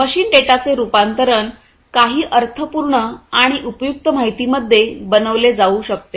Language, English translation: Marathi, As the conversion of machine data to some information, that can be made meaningful and useful